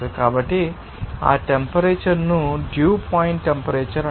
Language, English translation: Telugu, So, that temperature will be called a dew point temperature